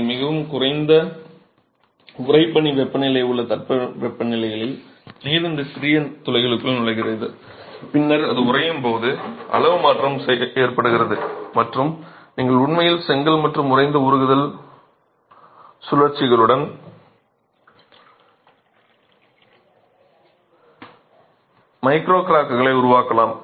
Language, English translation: Tamil, This becomes important because in climates where you have very cold, very low freezing temperatures, water gets into these small pores and then when it freezes there is change of volume and you can actually have micro cracks that are generated in the brick and with freeze thaw cycles in freeze thaw cycles you will have brick deterioration progressing from day one